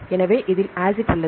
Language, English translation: Tamil, So, which one has the acid